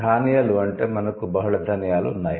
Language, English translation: Telugu, So grains means you can have multiple grains, right